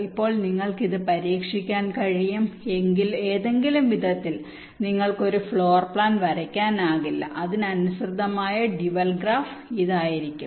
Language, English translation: Malayalam, now you can try it out in any way, you will see that you cannot draw a floor plan for which the corresponds dual graph will be this